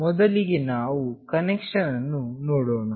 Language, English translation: Kannada, First we will see the connection